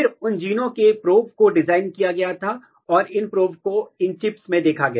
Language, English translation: Hindi, Then those genes, the probes for those genes were designed and these probes were spotted in these chips